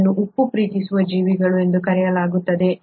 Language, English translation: Kannada, This is what is called as the salt loving organisms